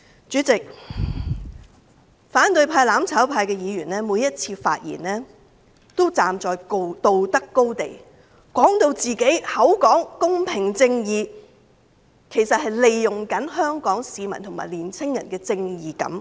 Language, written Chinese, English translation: Cantonese, 主席，反對派、"攬炒派"議員每次發言時也站在道德高地，口講公平正義，其實是利用香港市民和青年人的正義感。, President every time Members of the opposition and mutual destruction camp speak they would stand on high moral grounds . Chanting fairness and justice they are in fact exploiting the sense of justice of members of the public and young people in Hong Kong